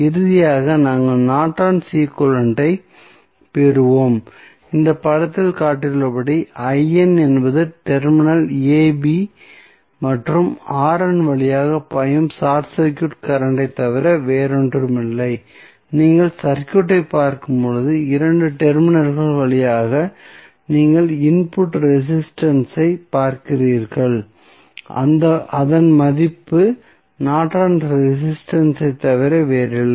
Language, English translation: Tamil, So, finally, we will get the Norton equivalent and as shown in this figure, where I n is nothing but the short circuit current which is flowing through the terminal AB and the R n is the input resistance which you will see when you see the circuit and you see through these 2 terminals, the input resistance the value of that would be nothing but Norton's resistance